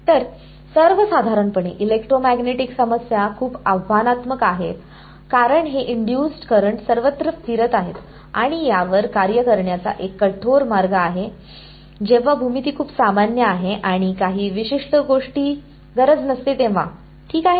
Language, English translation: Marathi, So, in general and electromagnetic problems are very challenging because of these induced currents floating around everywhere and this is one rigorous way of dealing with it when the geometry is very general need not be some very specific thing ok